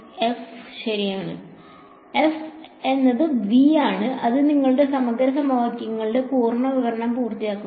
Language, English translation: Malayalam, f right so, f is V so, that completes the full description of your integral equations